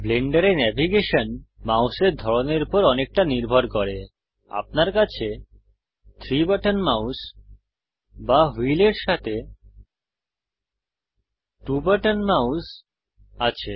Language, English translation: Bengali, Navigation in the Blender depends a lot on the type of mouse you have – a 3 button mouse or a 2 button mouse with a wheel